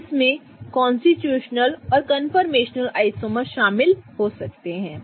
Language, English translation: Hindi, We are going to start with constitutional isomers